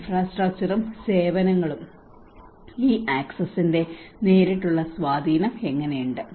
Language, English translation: Malayalam, Infrastructure and services and how it have a direct implication of these access